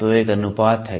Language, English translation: Hindi, So, there is a ratio